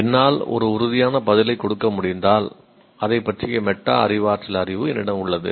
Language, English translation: Tamil, If I am able to give a definitive answer, I have metacognitive knowledge of that